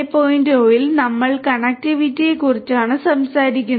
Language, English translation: Malayalam, 0 we are talking about connectivity